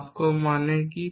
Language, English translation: Bengali, What does all mean